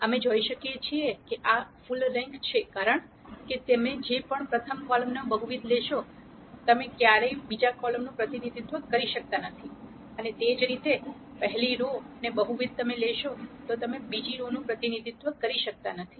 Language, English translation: Gujarati, We can see that this is full rank, because whatever multiple of the first column you take, you can never represent the second column and similarly whatever multiple of the first row you take you can never represent the second row, and this can also be seen from the fact that the determinant of A is not 0